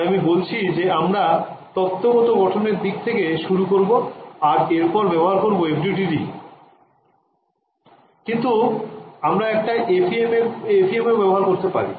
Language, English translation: Bengali, So, what I am telling you we will start with the theoretical development then implementation in FDTD, but we could also implement in FEM right